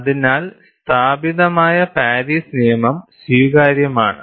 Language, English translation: Malayalam, So, that established Paris law is acceptable